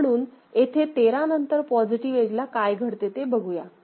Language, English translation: Marathi, So, after 13 at the positive edge, what will happen